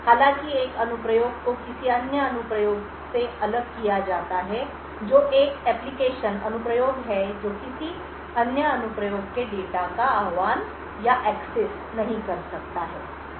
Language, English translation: Hindi, However, one application is isolated from another application that is one application cannot invoke or access data of another applications